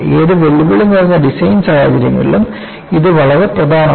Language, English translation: Malayalam, It is very important in any challenging designs